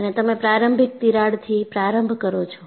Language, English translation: Gujarati, And you start with the initial crack